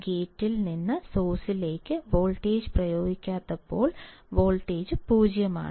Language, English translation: Malayalam, That when we apply no gate to source voltage, voltage is 0